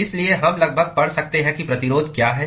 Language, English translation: Hindi, So, we can almost read out what the resistances are